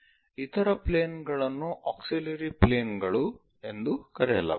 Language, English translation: Kannada, The other planes are called auxiliary planes